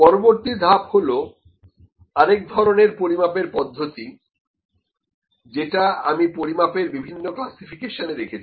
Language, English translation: Bengali, Next is another measurement method, I could have put in the various classification of measurement